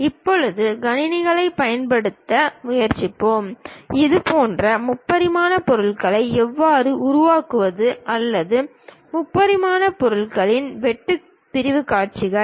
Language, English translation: Tamil, Now, onwards we will try to use computers, how to construct such kind of three dimensional objects or perhaps the cut sectional views of three dimensional objects